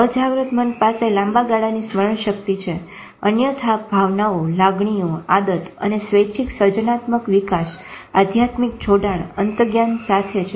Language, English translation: Gujarati, Unconscious mind has a long term memory, otherwise emotions feeling, habit, voluntary, creativity, developmental, spiritual connection, intuition